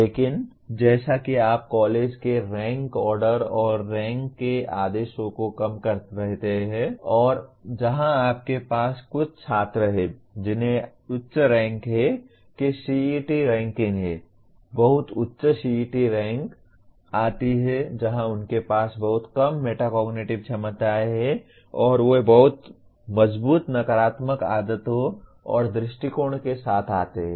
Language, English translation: Hindi, But as you keep coming down the rank order/rank orders of the college and where you have somewhat students with so called very high ranks that is CET rankings, very high CET rank come that is where they have very poor metacognitive abilities plus they come with very strong negative habits and attitudes